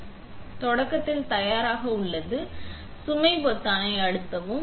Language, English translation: Tamil, So, it says ready for start, press load button